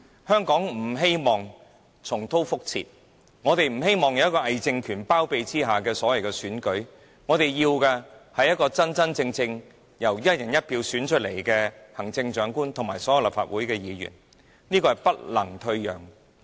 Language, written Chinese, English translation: Cantonese, 香港人不要任何在偽政權包庇下進行的選舉，我們要的是真真正正由"一人一票"選出來的行政長官和所有立法會議員，這點絕不能退讓。, Elections conducted under the wings of a pseudo - regime is not what the Hong Kong people want . We want our Chief Executive and all Members of the Legislative Council to be returned by genuine elections conducted on a one person one vote basis . There is absolutely no compromise regarding this